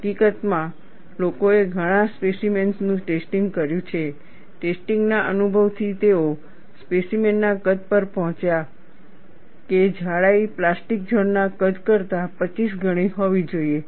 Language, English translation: Gujarati, In fact, people have tested several specimens; from testing experience, they have arrived at the size of the specimen thickness should be, 25 times the plastic zone size